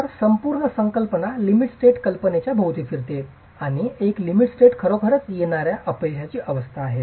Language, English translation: Marathi, So, the whole concept revolves around the idea of a limit state and a limit state is really a state of impending failure